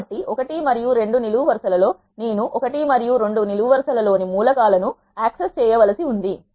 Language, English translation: Telugu, I want to access rows 1 and 3 and what are the columns I need to access in the columns 1 and 2